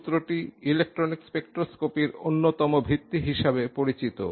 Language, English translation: Bengali, The principle is known is one of the cornerstones in electronic spectroscopy